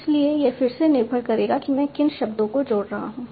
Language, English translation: Hindi, So it will depend on again what are the words I am connecting